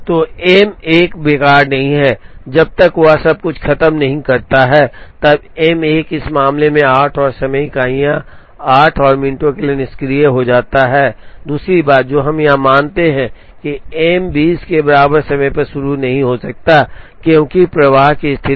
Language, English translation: Hindi, So, M 1 is not idle, till it finishes everything then M 1 becomes idle in this case for 8 more time units or 8 more minutes, other thing that, we observe is M 2 cannot start at time equal to 0, because of the flow shop condition